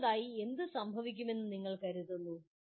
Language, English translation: Malayalam, What do you think would happen next …